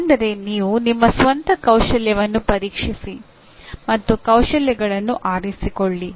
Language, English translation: Kannada, That is you inspect your own skill and select your skills